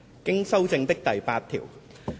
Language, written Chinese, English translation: Cantonese, 經修正的附表。, Schedule as amended